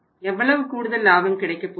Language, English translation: Tamil, How much incremental profit the company is going to earn